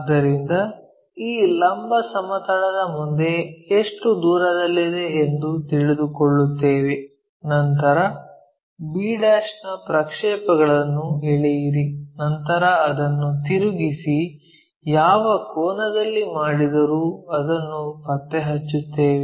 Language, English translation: Kannada, So, that we will get a how far it is in front of this vertical plane, then project b', then rotate it in such a way that whatever the angle it is made that we will locate it